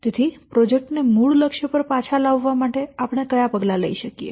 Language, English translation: Gujarati, So how, what steps we can take to bring the project back to the original target